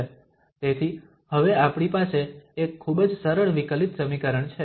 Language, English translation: Gujarati, So we have a very simple differential equation now